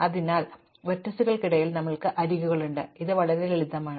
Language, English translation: Malayalam, So, we have edges between vertices, so it is very simple